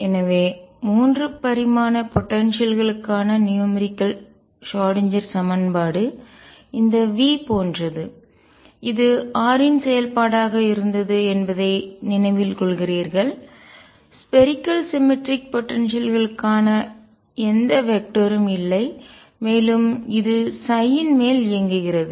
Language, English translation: Tamil, So, you recall that the Schrödinger equation for 3 dimensional potentials was like this V as a function of only r, no vector which is for the spherically symmetric potential and this operating on psi give you E psi